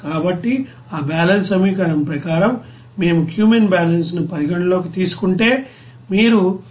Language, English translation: Telugu, So as per that balance equation, if we consider cumene balance, then you can simply write this 173